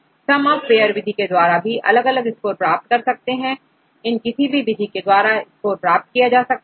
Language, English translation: Hindi, Sum of pairs method you can get different scores right you can use any of these methods to get this score